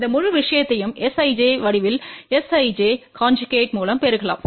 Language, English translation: Tamil, And this whole thing can also be written in the form of S ij multiplied by S ij conjugate